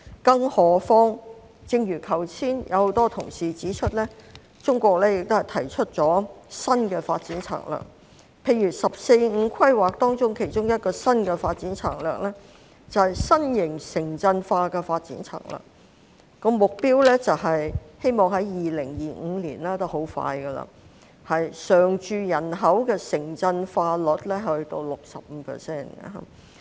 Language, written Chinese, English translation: Cantonese, 更何況正如剛才很多同事指出，中國已提出新的發展策略，例如《十四五規劃綱要》其中一個新的發展策略便是新型城鎮化，目標是希望在2025年——已經很快——常住人口的城鎮化率達到 65%。, What is more as many colleagues have pointed out just now China has proposed new development strategies . One of the new development strategies in the Outline of the 14th Five - Year Plan is the new type of urbanization which aims to have permanent urban resident reaching the goal of 65 % of the population by 2025 and this is very soon